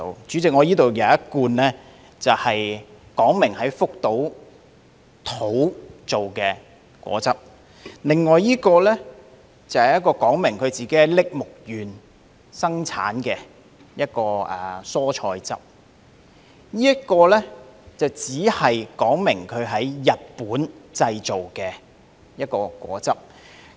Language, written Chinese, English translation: Cantonese, 主席，我這裏有一罐說明是在福島製的果汁，另一罐說明在栃木縣生產的蔬菜汁，而這一罐只說明是在日本製造的一種果汁。, President I have a can of juice here whose label tells that it is produced in Fukushima and the label of another can of vegetable juice says that it is produced in Tochigi while the label of this can only tell that it is a kind of juice produced in Japan